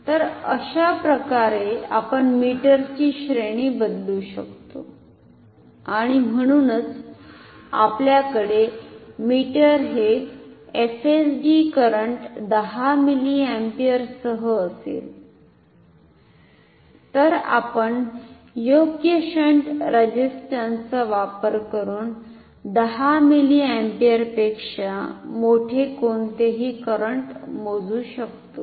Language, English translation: Marathi, So, this is how we can change the range of an ammeter and therefore, we can actually if you have a meter with FSD current 10 milliampere we can measure any current larger than 10 milliampere by using suitable shunt resistance